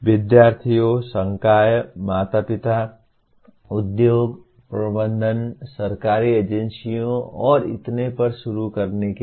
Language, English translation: Hindi, To start with the students, faculty, the parents, industries, management, government agencies and so on